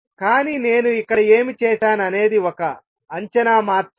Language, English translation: Telugu, But what I have done here is just made an estimate